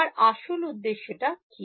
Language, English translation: Bengali, What was my original objective